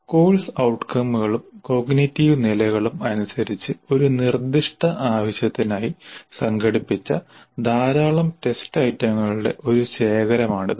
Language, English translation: Malayalam, It is a collection of a large number of test items organized for a specific purpose according to the course outcomes and cognitive levels